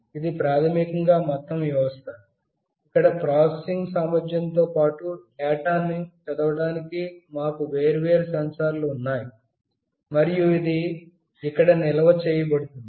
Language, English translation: Telugu, This is basically the overall system, where along with processing capability, we have different sensors to read the data, and it will get stored here